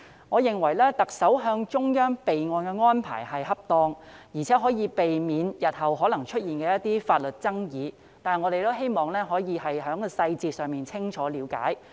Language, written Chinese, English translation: Cantonese, 我認為特首向中央備案的安排是恰當的，而且可以避免日後可能出現的法律爭議，但我們也希望可以清楚了解有關細節。, I find it appropriate for the Chief Executive to report to the Central Government for the record so as to avoid possible legal disputes in the future but we also hope to clearly understand the details